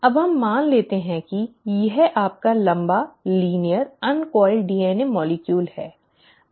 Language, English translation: Hindi, Now, let us assume that this is your long, linear, uncoiled DNA molecule